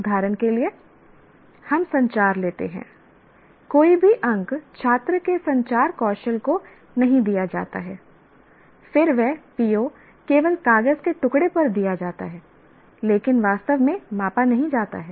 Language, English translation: Hindi, But no marks are at all given to the communication skills of the student, then that PO is only given on the piece of paper but not actually measured